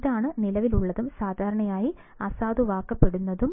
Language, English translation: Malayalam, This is the current and is usually nulled